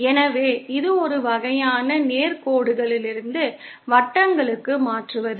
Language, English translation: Tamil, So, it is a kind of conversion from straight lines to circles